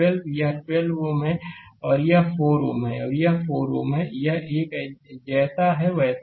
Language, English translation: Hindi, This 12 ohm is there and this 4 ohm and this 4 ohm, this one is there as it is right